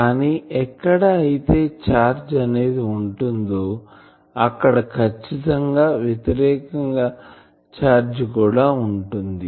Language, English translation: Telugu, But there is an accumulation of charge here there is an opposite accumulation of charge here